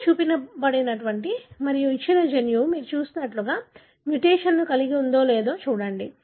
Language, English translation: Telugu, What is shown here and then look at whether a given gene is having a mutation something like what you have seen